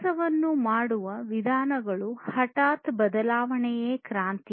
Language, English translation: Kannada, An abrupt change in the way things are being done, so that is the revolution